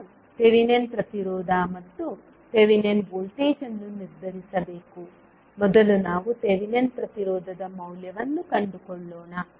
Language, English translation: Kannada, We have to determine the Thevenin impedance and Thevenin voltage, first let us find out the value of Thevenin impedance